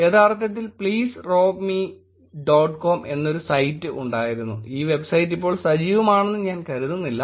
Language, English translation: Malayalam, There used to be actually a site called please rob me dot com I do not think so the website is active now